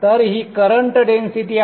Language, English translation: Marathi, So this is the current density